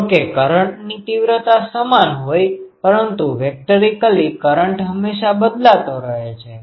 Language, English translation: Gujarati, Though the ah current ah magnitude is same, but vectorially the current is always changing